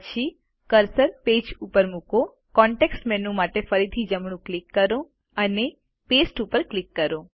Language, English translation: Gujarati, Then, place the cursor on the page, right click for the context menu again and click Paste